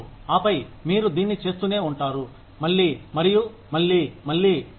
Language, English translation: Telugu, And, you keep doing it, again and again and again